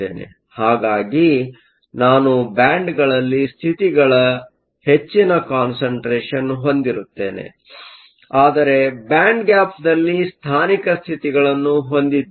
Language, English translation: Kannada, So, I will have a large density of states in the bands; but within the band gap, we will also have localized states